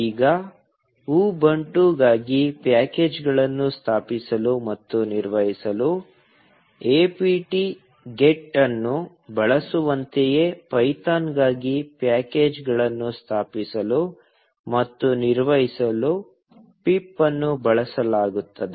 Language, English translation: Kannada, Now, just like apt get is used to install and manage packages for Ubuntu, pip is used to install and manage packages for python